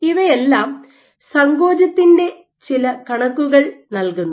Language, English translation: Malayalam, All of which provide some estimate of contractility